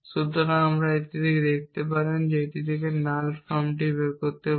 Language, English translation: Bengali, So, you can see from this and this we can derive the null form